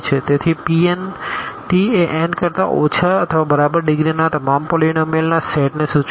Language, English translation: Gujarati, So, P n t denotes the set of all polynomials of degree less than or equal to n